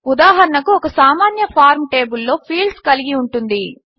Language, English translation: Telugu, For example, a simple form can consist of fields in a table